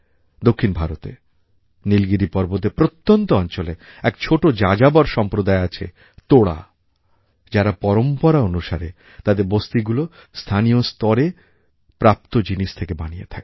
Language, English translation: Bengali, In the isolated regions of the Nilgiri plateau in South India, a small wanderer community Toda make their settlements using locally available material only